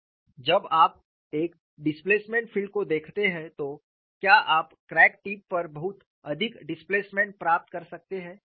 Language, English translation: Hindi, When you look at a displacement field, can you have very high displacement at the crack tip